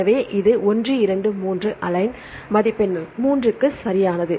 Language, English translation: Tamil, So, this is 1, 2, 3, right for the alignment match score is 3